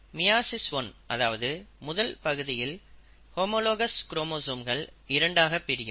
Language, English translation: Tamil, Now in meiosis one, the first part, the homologous chromosomes will get separated